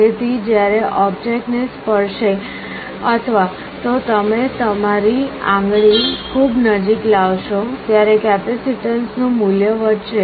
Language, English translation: Gujarati, So, when the object touches or even you are bringing your finger in very close proximity, the value of the capacitance will increase